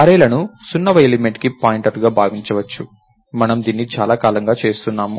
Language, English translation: Telugu, So, arrays can be thought of as pointers to the 0th element, we have been doing this for a long time now